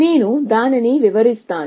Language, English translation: Telugu, Let me illustrate that